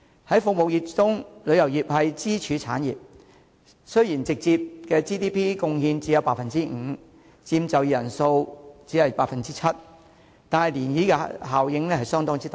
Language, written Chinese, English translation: Cantonese, 在服務業中，旅遊業是支柱產業，雖然直接的 GDP 貢獻只有 5%， 佔就業人口 7%， 但漣漪效應相當大。, Tourism is the pillar of the service sector . Although the tourism industry makes a direct contribution of only 5 % to GDP and employs 7 % of the working population the ripple effect is considerable